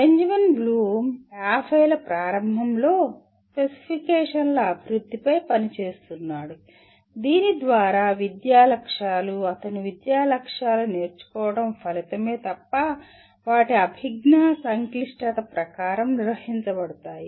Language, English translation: Telugu, Benjamin Bloom was working in early ‘50s on the development of specifications through which educational objectives, his educational objectives are nothing but learning outcomes, could be organized according to their cognitive complexity